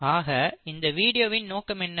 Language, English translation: Tamil, So what are the objectives of this video